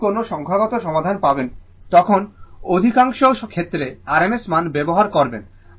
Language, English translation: Bengali, Whenever will find solve a numerical will use most of the cases only rms value right